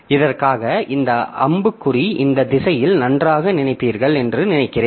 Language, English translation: Tamil, So, for this arrow I think you better think in this direction